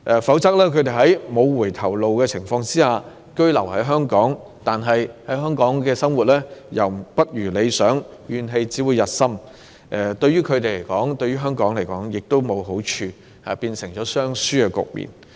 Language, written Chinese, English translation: Cantonese, 否則，他們在沒有回頭路的情況下居於香港，但在港生活卻不如理想，怨氣只會日深，這對他們以至對香港均沒有好處，會造成雙輸局面。, In the absence of such a mechanism they will be left with no alternative but to stay in Hong Kong . They will only be filled with more grievances when their life here does not meet their expectation . This will not be beneficial to these people nor to Hong Kong; it will only result in a lose - lose situation